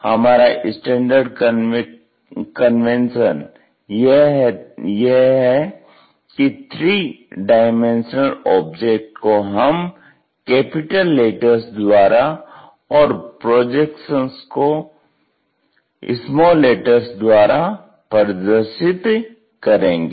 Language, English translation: Hindi, Our standard convention is this three dimensional kind of objects we show it by capital letters and projections by small letters